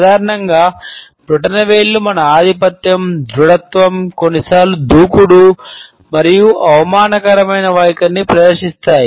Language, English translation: Telugu, Thumbs in general display our sense of dominance and assertiveness and sometimes aggressive and insulting attitudes